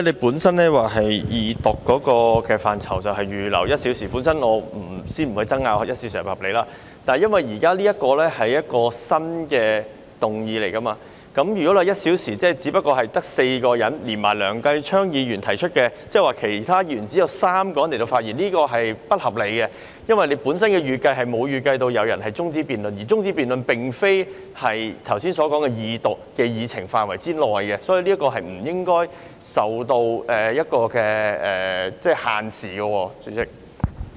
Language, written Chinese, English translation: Cantonese, 由於你原本說將會為二讀辯論預留1小時，我先不爭辯1小時是否合理，但由於現時提出的是一項新的議案，如果只有1小時，便只足夠讓4位議員發言，而撇除提出這議案的梁繼昌議員，即只有3位其他議員可以發言，這是不合理的，因為你原來並沒有預計有人提出中止待續議案，而中止待續議案的辯論並不屬於二讀辯論的範圍，所以，這項辯論是不應該受時間限制的。, You originally said that one hour would be set aside for the Second Reading debate and I will not argue whether this one - hour limit is reasonable but as it is a new motion being proposed now and with only one hour it would be enough for only four Members to speak on it . And excluding the sponsor of this motion Mr Kenneth LEUNG only three other Members could speak and this is unreasonable . It is because originally you did not expect anyone to propose an adjournment motion and the debate on the adjournment motion is outside the scope of the Second Reading debate